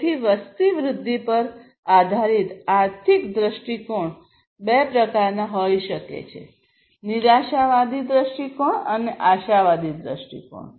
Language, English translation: Gujarati, So, economic view on the population growth can be of two types: pessimistic view and optimistic view